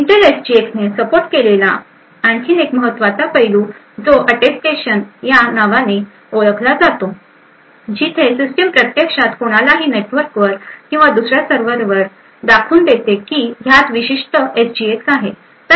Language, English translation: Marathi, Another very important aspect which is supported by Intel SGX is something known as Attestation where this system can actually prove to somebody else may be over the network or another server that it actually has a particular SGX